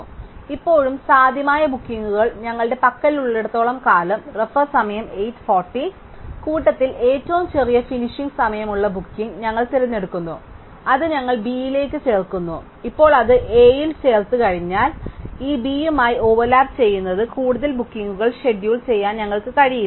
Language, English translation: Malayalam, So, as long as we have pending bookings which are still feasible, we pick that booking which has the smallest finishing time among the set which is still with us and we add that to b, that to A and now having added that to A, we cannot schedule any more bookings which overlapped with this b